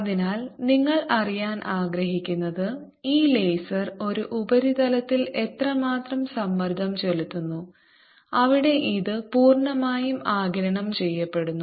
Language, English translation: Malayalam, therefore, what you want to know is how much pressure does this laser apply on a surface where it is completely absorbed